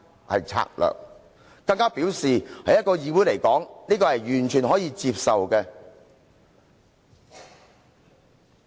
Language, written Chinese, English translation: Cantonese, "他更說："在一個議會來說，這是完全可以接受的。, He went further to say that it is totally acceptable in a parliamentary assembly